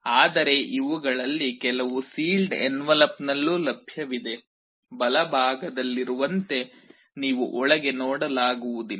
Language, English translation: Kannada, But some of these are also available in a sealed envelope, you cannot see inside, like the the one on the right